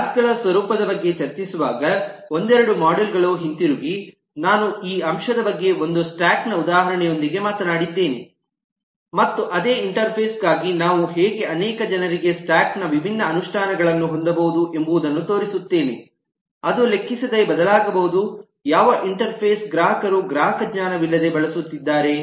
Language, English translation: Kannada, while discussing about the nature of classes, i talked about this aspect with an example of a stack and i show that how, for same interface, we could have multiple people, different implementations of a stack which could change irrespective of which interface the customer is using and without the knowledge of the customer